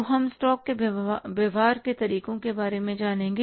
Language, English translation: Hindi, So we will learn about how to treat the stocks